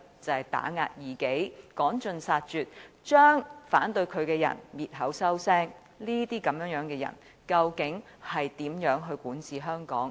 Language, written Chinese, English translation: Cantonese, 就是打壓異己、趕盡殺絕，將反對他的人滅口滅聲，這樣的人究竟如何管治香港？, It meant oppressing his opponents wiping them out completely silencing or killing them . How can such a person govern Hong Kong?